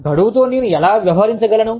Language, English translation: Telugu, How do i deal with deadlines